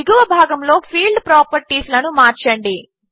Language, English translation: Telugu, Change the Field Properties in the bottom section